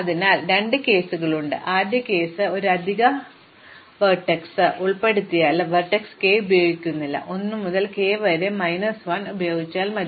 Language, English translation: Malayalam, So, there are two cases, the first case is this is an extra vertex k not useful, the shortest path even if I include k does not use vertex k, it is enough to use 1 to k minus 1